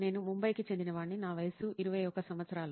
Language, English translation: Telugu, I am from Mumbai and I am 21 years old